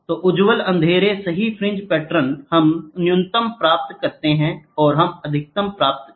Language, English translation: Hindi, So, bright, dark, bright, dark, right fringe patterns so, we get minimum and we get maximum